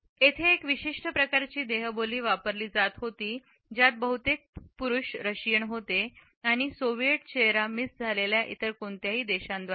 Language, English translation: Marathi, He added there were a one specific type of body language used by Russians mostly men and by no other nations that is a Soviet face miss